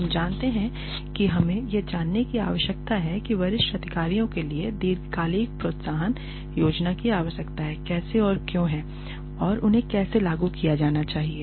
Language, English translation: Hindi, We you know we need to know how and why long term incentive plans for senior executives are required and how are they to be implemented